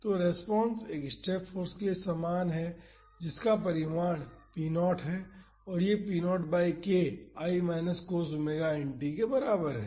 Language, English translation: Hindi, So, the response is same as for a step force with magnitude p naught and it is p naught by k is equal to 1 minus cos omega n t